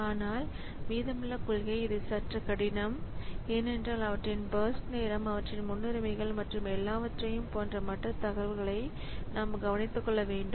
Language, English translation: Tamil, But the remaining policies so it is slightly difficult because we have to take care of this other information like their births time their priorities and all